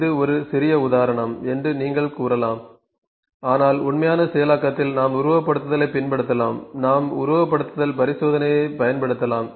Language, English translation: Tamil, This was a very you can say trivial example, but in actual processing we can use the simulation, even we can use simulation experiment